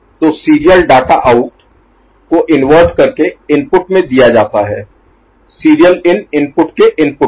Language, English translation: Hindi, So, serial data out is inverted and fed as input to the input of serial in input